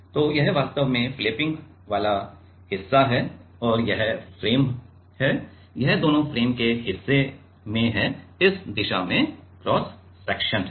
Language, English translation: Hindi, So, this is the flapping part actually, this is the flapping part is moving and this is the frame, this is both at the part of the frame, taking the cross section in this direction